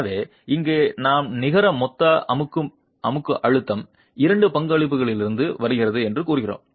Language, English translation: Tamil, So here we are saying that the net the total compressive stress comes from two contributions